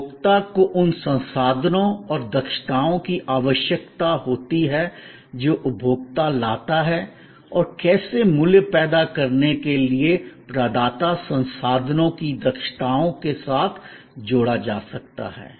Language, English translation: Hindi, The consumer need the resources and competencies the consumer brings and how that can be combined with the providers resources competencies to produce value